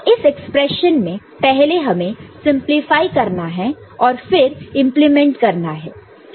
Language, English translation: Hindi, So, here in these expression, this we have to simplify, and then implement